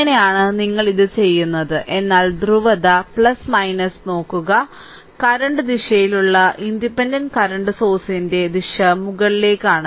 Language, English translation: Malayalam, So, this is how we do it, but look at the polarity plus minus, so current direction here in the independent current source it is upward right